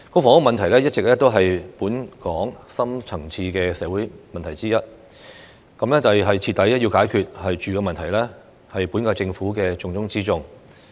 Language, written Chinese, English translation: Cantonese, 房屋問題一直是本港深層次社會問題之一，徹底解決"住"的問題，是本屆政府的重中之重。, Housing problem has always been one of the deep - rooted social problems in Hong Kong and solving the housing problem once and for all is a top priority for the current - term Government